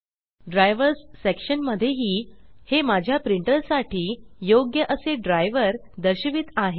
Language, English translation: Marathi, Also in the Drivers section, it shows the driver suitable for my printer